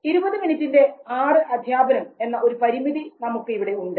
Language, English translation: Malayalam, And because we will have a limitation of only 20 minutes lecture distributed across 6 lectures